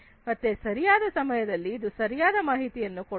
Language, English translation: Kannada, So, it provides correct information at the right time